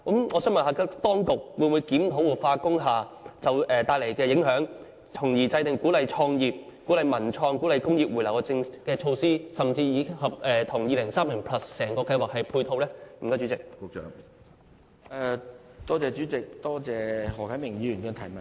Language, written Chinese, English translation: Cantonese, 我想問當局會否檢討活化工廈帶來的影響，從而制訂鼓勵創業、文創、工業回流的措施，甚至與《香港 2030+： 跨越2030的規劃遠景與策略》整個計劃作出配套呢？, Will the authorities review the impact of industrial building revitalization so as to formulate measures that encourage the establishment of business startups the development of cultural and creative industries and the return of industries to Hong Kong as well as to tie in with the implementation of the Hong Kong 2030Towards a Planning Vision and Strategy Transcending 2030?